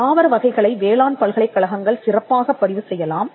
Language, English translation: Tamil, Plant varieties could be registered specially by agricultural universities